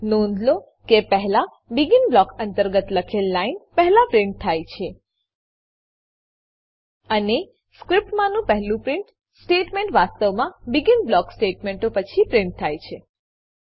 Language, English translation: Gujarati, Notice that The line written inside the first BEGIN block gets printed first and The first print statement in the script actually gets printed after the BEGIN block statements